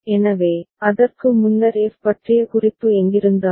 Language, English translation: Tamil, So, before that wherever the reference of f was there